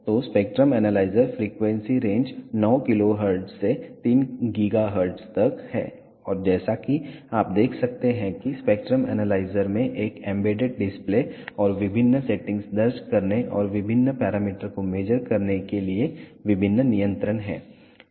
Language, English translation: Hindi, So, the spectrum analyzers frequency range is from 9 kilohertz to 3 gigahertz and as you can see the spectrum analyzer has an embedded display and various controls to enter different settings and measure different parameters